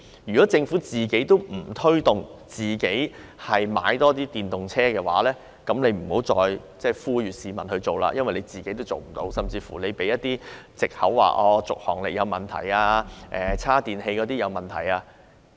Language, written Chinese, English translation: Cantonese, 如果政府也不帶頭多買電動車的話，那便不要再呼籲市民購買，因為政府也做不到，甚至以續航力有問題及充電器不足為藉口。, If the Government does not even take the lead to buy more electric vehicles it should just stop urging the public to buy them . The Government just fails to echo itself and even uses driving range problems and inadequate number of chargers as excuses